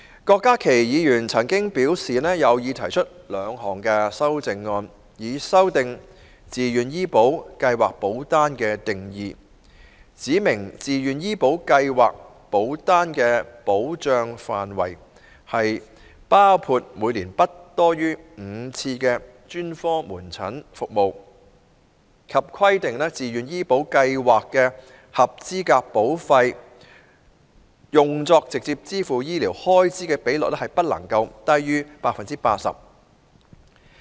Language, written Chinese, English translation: Cantonese, 郭家麒議員曾表示，有意提出兩項修正案，以修訂"自願醫保計劃保單"的定義，指明自願醫保計劃保單的保障範圍，包括每年不多於5次專科門診服務，以及規定自願醫保計劃的合資格保費用作直接支付醫療開支的比率不低於 80%。, Dr KWOK Ka - ki indicated his intention to propose two amendments to the definition of VHIS policy to specify that the coverage of the VHIS policy is to include not more than five specialist outpatient visits per year; and require that no less than 80 % of the qualifying premiums of VHIS policies should be used for direct funding of health care cost